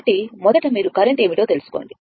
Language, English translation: Telugu, So, first you find out what is the current, right